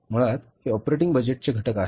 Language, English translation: Marathi, Basically these are the components of operating budget